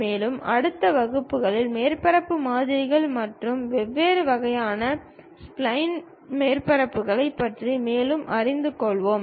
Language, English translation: Tamil, And, in the next classes we will learn more about surface models and different kind of spline surfaces